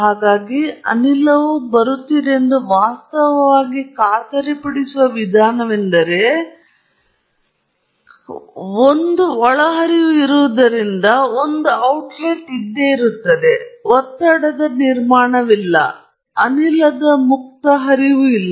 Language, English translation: Kannada, So, this is the way you can ensure that there is actually gas coming in, there is gas going out, and since there is an inlet and there is an outlet, there is no build up of pressure, just free flow of gas